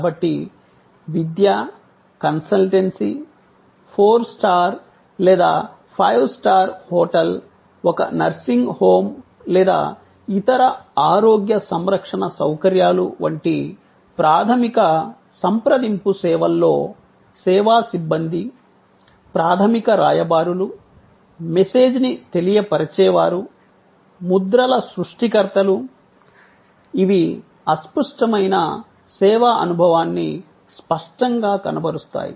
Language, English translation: Telugu, So, in most high contact services, like education, like consultancy, like a four star, five star hotel, like a nursing home or other health care facilities, the service personnel at the primary ambassadors, message conveyors, impression creators, which tangibles the intangible which is the service experience